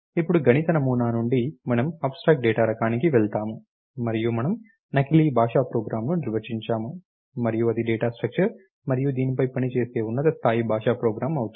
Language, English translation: Telugu, Now from the mathematical model we goes to the abstract data type, and we define a pseudo language program, and this becomes a data structure and higher level language program which operates on this